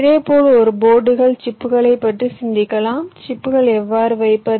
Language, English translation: Tamil, similarly, within a board you can think of the chips, how to place the chips